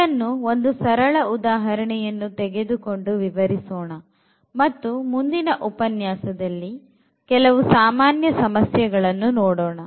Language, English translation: Kannada, Let us explain this with the help of simple example and then perhaps in the next lecture we will go for more general problems